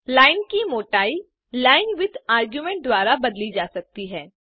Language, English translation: Hindi, The thickness of the line can be altered by linewidth argument